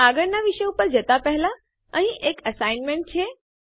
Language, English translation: Gujarati, Before moving on to the next topic, here is an assignment